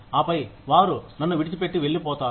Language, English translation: Telugu, And then, they leave me, and go away